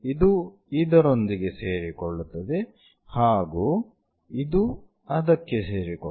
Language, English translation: Kannada, So, this one coincides with this one, this one coincides with that one